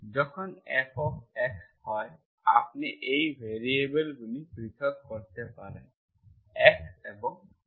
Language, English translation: Bengali, When F of x, y is, you can separate these variables x and y, you know how to solve